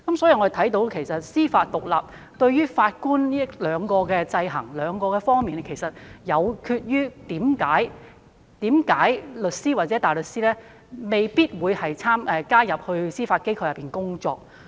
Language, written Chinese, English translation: Cantonese, 由此可見，司法獨立對於法官在這兩方面的制衡，其實亦導致了為何律師或大律師未必願意加入司法機構工作。, From this we can see that the checks and balances exerted by judicial independence on Judges in these two aspects might also lead to the unwillingness of solicitors or barristers to join and work for the Judiciary